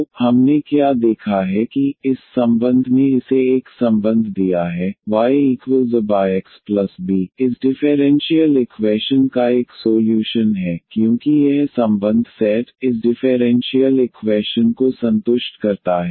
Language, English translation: Hindi, So, what we have observed that this relation this given a relation y is equal to A over x plus B is a solution of this differential equation because this relation set satisfies this differential equation